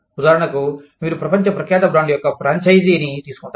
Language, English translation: Telugu, For example, you take a franchise, of a world renowned brand